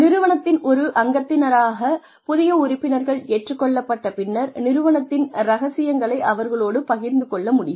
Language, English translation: Tamil, After the new members are accepted as part of the organization, they are able to share organizational secrets